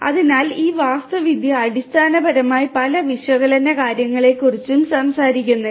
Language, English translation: Malayalam, So, this architecture basically does not talk about so many different things of analytics